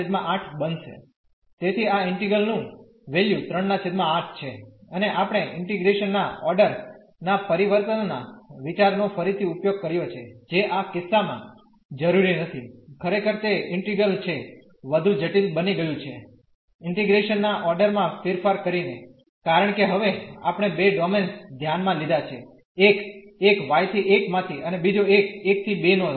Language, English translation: Gujarati, So, the value of this integral is 3 by 8 and we have used again the idea of change of order of integration which was not necessary in this case indeed it has the integral has become more complicated by changing the order of integration, because we have to now considered 2 domains 1 was from y to 1 and the other one was from 1 to 2